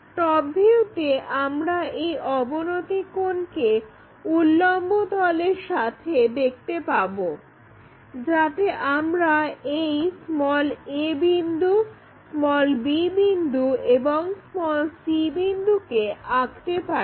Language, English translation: Bengali, In top view we can observe this inclination angle with the vertical plane, so that a point, b point and c point we can draw it